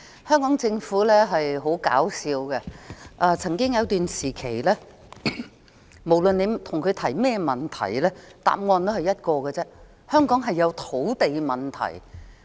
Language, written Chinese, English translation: Cantonese, 香港政府很搞笑，曾經有一段時期，不論我們向當局提出甚麼問題，當局也只得一個答案：香港有土地問題。, The Hong Kong Government is interesting . For a period in the past whatever problem we raised the authorities would give the same answer There is a land supply problem in Hong Kong